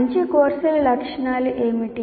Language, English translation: Telugu, What are the features of good courses